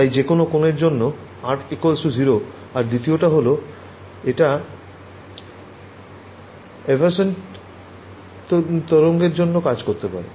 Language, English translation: Bengali, So, R is equal to 0 for any angle and the second one is: it works for evanescent waves